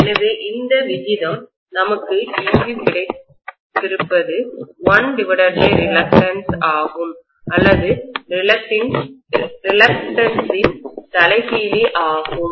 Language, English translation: Tamil, So this ratio whatever we have got here is going to be 1 by reluctance or reciprocal of reluctance